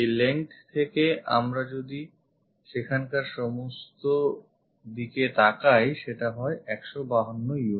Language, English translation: Bengali, This length if we are looking from here all the way there this is 152 units